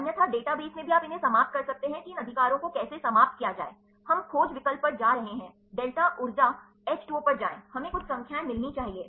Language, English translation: Hindi, Otherwise in the database also you can eliminate these how to eliminate these right, we going to the search option go to delta energy H 2 O, we should get some numbers